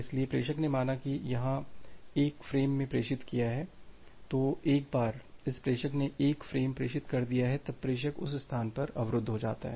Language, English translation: Hindi, So, the sender here it has transmitted say 1 frame so, once this sender has transmitter 1 frame, the sender is blocked at that position